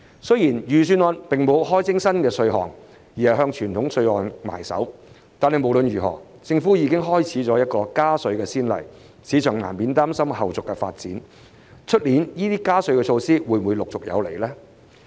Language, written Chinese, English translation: Cantonese, 雖然預算案並沒有開徵新稅項，而只是向傳統稅項下手，但無論如何，政府已開展了加稅先例，市場難免擔心，明年加稅措施會否陸續有來。, While the Budget has only raised traditional taxes without introducing any new taxes the Government has already set a precedent for tax increases anyway . The market is inevitably worried that more tax increase measures would follow next year